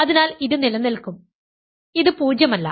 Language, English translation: Malayalam, So, this will survive and this is non zero ok